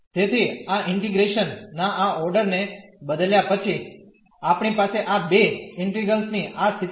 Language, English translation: Gujarati, So, having change this order of integration, we have this situation of this 2 integrals